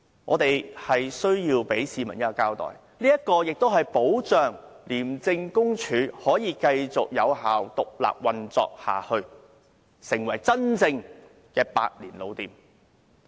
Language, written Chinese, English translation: Cantonese, 我們要向市民交代，亦要保障廉署可以繼續獨立運作，成為真正的百年老店。, We have to explain to the people and ensure that ICAC can continue to operate independently . It will then become our real century - old shop